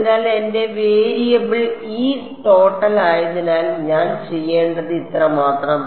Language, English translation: Malayalam, So, all I have to do is since my variable is E total